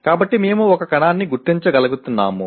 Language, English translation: Telugu, So we are labeling the, we are able to identify a cell